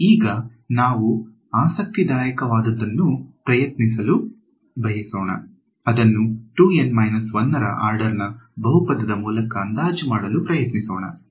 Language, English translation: Kannada, Now, we want to try something interesting, we want to try to approximate it by a polynomial of order 2 N minus 1